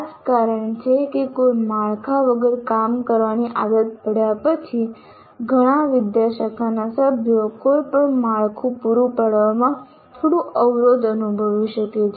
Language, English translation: Gujarati, That is the reason why having got used to operating with no framework, the many faculty members may feel a little constrained with regard to providing any framework